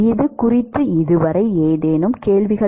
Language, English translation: Tamil, Any questions on this so far